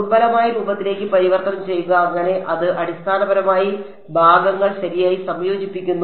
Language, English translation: Malayalam, Converting to weak form so that was basically integration by parts right